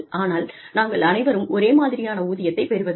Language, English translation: Tamil, But, all of us, do not get the same salary